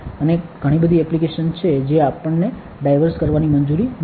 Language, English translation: Gujarati, And there are a lot of applications which we are not allowed to diverge